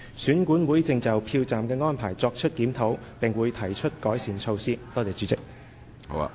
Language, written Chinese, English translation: Cantonese, 選管會正就票站的安排作出檢討，並會提出改善措施。, EAC is reviewing the arrangements of the polling stations and will propose improvement measures accordingly